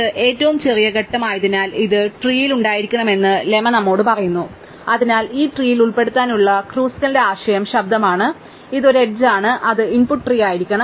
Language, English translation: Malayalam, And since is this smallest edge, the lemma tells us this must be in the tree and therefore, Kruskal's idea of including this in tree is sound, this is an edge it must be input tree